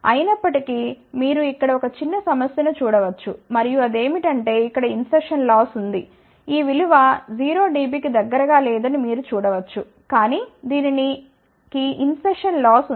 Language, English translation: Telugu, However, you can see one small problem over here and that is there is a insertion loss, you can see that this value is not close to 0 dB , but it has a finite loss